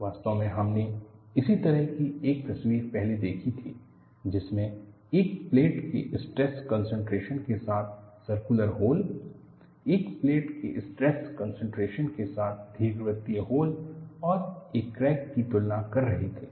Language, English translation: Hindi, In fact, we had seen earlier, a picture similar to this, while comparing stress concentration of a plate with a circular hole, stress concentration of a plate with an elliptical hole and a crack